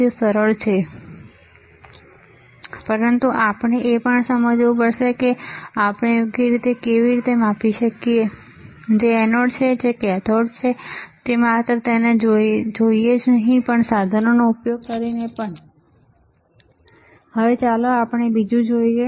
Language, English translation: Gujarati, It is simple easy, but we have to also understand how we can measure right, which is anode which is cathode not just by looking at it, but also by using the equipment